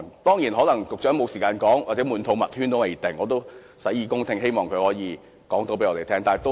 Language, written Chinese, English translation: Cantonese, 當然，局長可能沒有時間說，或"滿肚墨圈"也不一定，我也洗耳恭聽，希望他可以告訴我們。, Certainly the Secretary might not have the time to speak at length or he might have all the plans in mind . I am all ears for his ideas